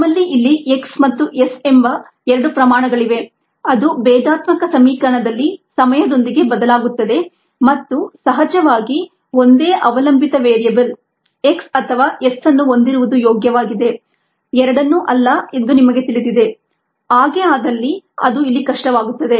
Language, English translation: Kannada, also, we have two quantities here, x and s, that vary with time in the differential equation and of course you know that it is preferable to have only one dependent variable, either x or s, not both